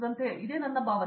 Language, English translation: Kannada, So, I am feeling like that